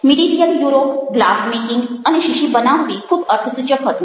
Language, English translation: Gujarati, medieval europe: glass making ok, and bottle making was very, very significant